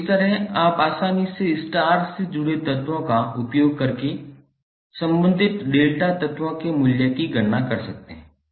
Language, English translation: Hindi, So in this way you can easily calculate the value of the corresponding delta elements using star connected elements